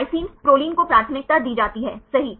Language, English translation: Hindi, Lysine, proline right there are preferred right right